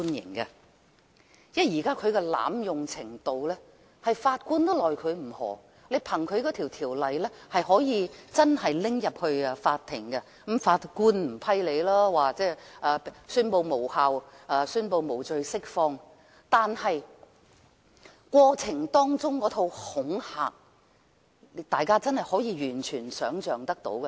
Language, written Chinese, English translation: Cantonese, 憑藉這條例，真的可以入稟法院提出檢控，或許法官不會批准審理，最終會宣布無效和無罪釋放，但過程當中引起的恐懼，大家便是完全可以想象得到的。, Under this Ordinance the Government can really institute prosecutions in court . True judges may well refuse to give approval to the conduct of any hearing prosecutions may be ruled invalid and the accused may walk free in the end . But we can still imagine the fear generated in the process